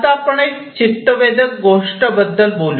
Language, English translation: Marathi, Now, let me talk about an interesting thing